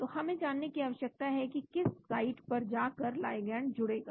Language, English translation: Hindi, so we need to know which site the ligand is going to bind to